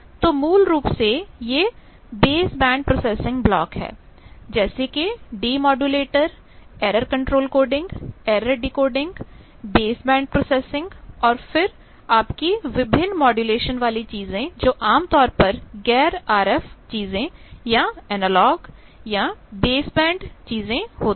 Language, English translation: Hindi, So, these are basically typically a base band processing blocks like demodulators error control coding error decoding base band processing then your various modulation things those are generally the non RF things or analogue or baseband things